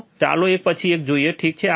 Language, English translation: Gujarati, So, let us see one by one, alright